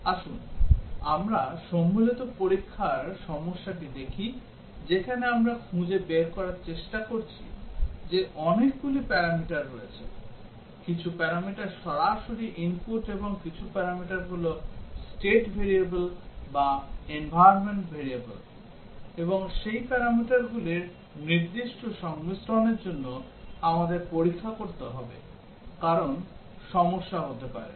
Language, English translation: Bengali, Let us look at the combinatorial testing problem where we are trying to find out that there are many parameters, some parameters are directly input and some parameters are state variables or environment variables; and for specific combinations of those parameters, we have to test, because there might be problem